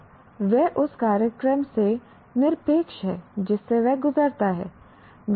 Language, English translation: Hindi, Now, that is irrespective of the program that he goes through